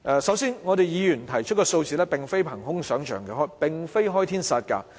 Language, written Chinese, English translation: Cantonese, 首先，議員提出的數額並非憑空想象、開天殺價。, First of all the amount proposed by Members was not a fancy to ask for a sky - high amount